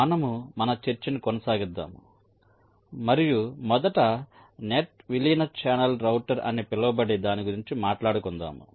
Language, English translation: Telugu, so we continue our discussion and we shall first talk about something called net merge channel router